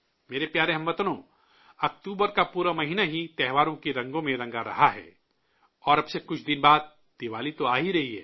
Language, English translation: Urdu, the whole month of October is painted in the hues of festivals and after a few days from now Diwali will be around the corner